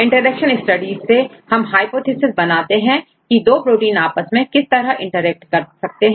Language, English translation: Hindi, So, from this interaction studies, we can try to derive the hypothesis how the two proteins interact with each other